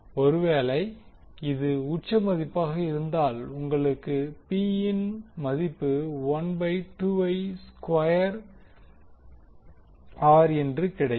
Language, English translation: Tamil, So if it is an peak value you will get the value P as 1 by 2 I square R